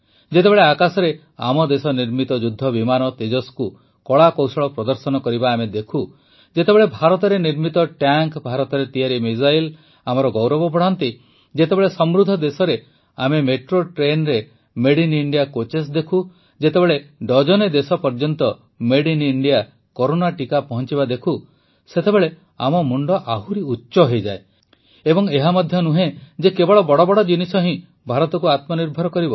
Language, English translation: Odia, When we see fighter plane Tejas made in our own country doing acrobatics in the sky, when Made in India tanks, Made in India missiles increase our pride, when we see Made in India coaches in Metro trains in wealthyadvanced nations, when we see Made in India Corona Vaccines reaching dozens of countries, then our heads rise higher